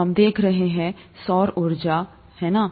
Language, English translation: Hindi, We have been looking at the solar energy, right